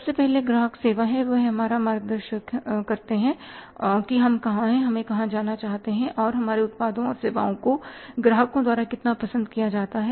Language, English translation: Hindi, First is the customer service, they guide us that where we are and where we want to go and how far our product and services are liked by the customers